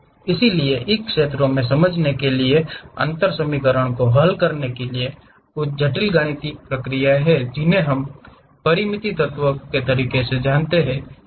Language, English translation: Hindi, So, there are certain mathematical processes to solve differential equations to understand the fields, which we call finite element methods